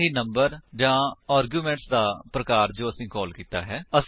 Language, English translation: Punjabi, Nor even the type or number of arguments we passed